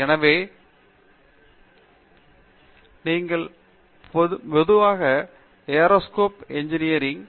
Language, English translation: Tamil, So, Aerospace Engineering